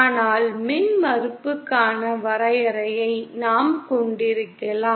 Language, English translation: Tamil, But we can have a definition of impedance